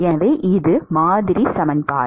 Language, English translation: Tamil, So, that is the model equation